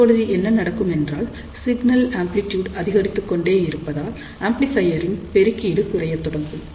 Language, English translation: Tamil, So, now, what happens as the signal amplitude keeps on increasing amplifier gain also starts reducing